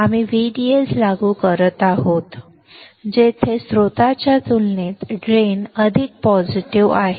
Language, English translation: Marathi, We are applying V D S, where drain is more positive compared to source